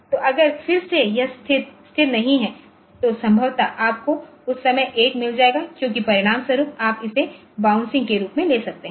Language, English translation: Hindi, So, if again if it is, if it is if, if it is not stable then possibly you will get a one at that time so, as a result you will you can take it at that this is actually a bouncing